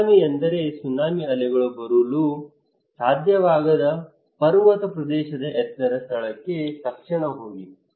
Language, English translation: Kannada, If there is a tsunami, go immediately to the higher place in a mountainous area where tsunami waves cannot come